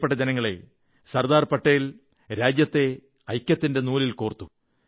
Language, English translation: Malayalam, My dear countrymen, Sardar Patel integrated the nation with the thread of unison